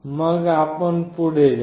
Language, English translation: Marathi, And then you move on